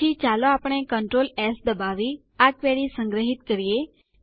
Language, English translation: Gujarati, Next, let us save this query, by pressing Control S